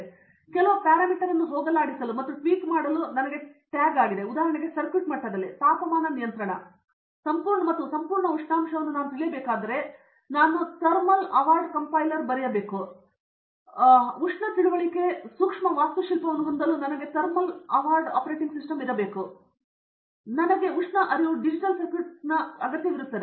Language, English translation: Kannada, So, this is tag for me to even go and tweak some parameter, for example, temperature control at it circuit level I need to know the entire stack I should write a thermal aware compiler, I should have a thermal aware operating system, I need to have thermal aware micro architecture, I need to have a thermal aware digital circuit